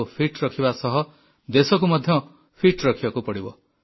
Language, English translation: Odia, We have to keep ourselves fit and the nation has to be made fit